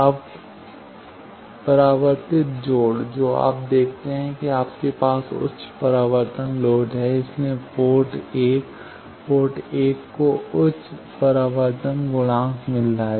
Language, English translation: Hindi, Now, reflect connection you see that you have the high reflection load that’s why port 1, port 1 is getting high reflection coefficient